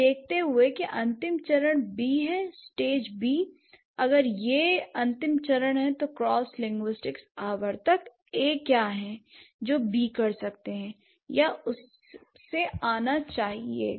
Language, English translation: Hindi, So, given, let's say the final stage is B, stage B, if that's the final stage, what are the cross linguistic recurrence, recurrent A's that B can or must come from